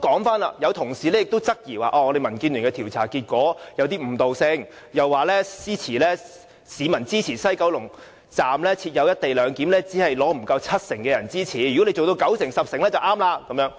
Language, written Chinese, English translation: Cantonese, 此外，有同事質疑民建聯的調查結果有誤導性，又說支持西九龍站設"一地兩檢"的市民的比率不足七成，要達到九成、十成才對。, Some colleagues have queried if the survey results of DAB were misleading . They said that fewer than 70 % of the respondents supported the co - location arrangement at the West Kowloon Station and the support rate should be 90 % or even 100 %